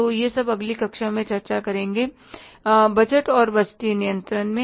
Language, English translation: Hindi, So, this all will discuss in the next class in the budgets and the budgetary control